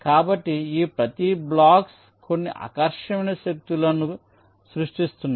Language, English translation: Telugu, so each of these blocks is ah, generating some attractive forces